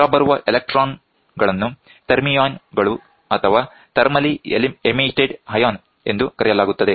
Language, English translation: Kannada, The emitted electrons are known as thermions thermally emitted ion thermion